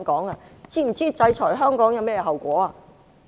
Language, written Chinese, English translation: Cantonese, "你們是否知道制裁香港有甚麼後果？, Do you know the consequences of sanctioning Hong Kong?